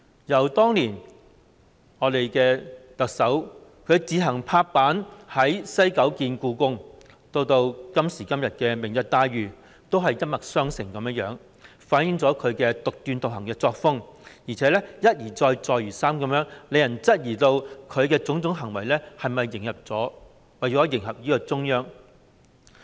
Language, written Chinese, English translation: Cantonese, 由當年特首以司長身份自行拍板在西九文化區興建香港故宮文化博物館，到今時今日提出"明日大嶼願景"，手法都一脈相承，反映了她獨斷獨行的作風；而且，她一而再，再而三地這樣做，令人質疑她的種種行為是否為了迎合中央。, From the Hong Kong Palace Museum in the West Kowloon Cultural District which the incumbent Chief Executive in her then capacity as the Chief Secretary decided by herself to build to the Lantau Tomorrow Vision put forward today the approaches have been in the same vein which is characteristic of her arbitrary style . Moreover she has been doing this time and again making us doubt whether she does everything to please the Central Government